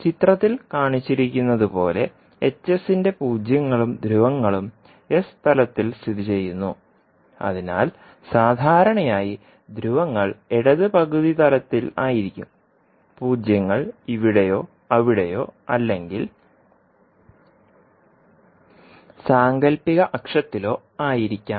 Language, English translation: Malayalam, Now zeros and poles of h s are often located in the s plane as shown in the figure so generally the poles would be in the left half plane and zeros can be at any location weather here or there or maybe at the imaginary axis